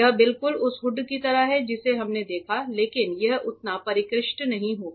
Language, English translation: Hindi, It is just like the hood that we saw, but just that it will not be that sophisticated